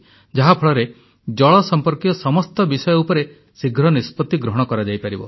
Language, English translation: Odia, This will allow faster decisionmaking on all subjects related to water